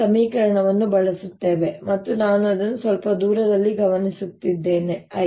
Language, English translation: Kannada, so we use this equation and i am observing it at some distance l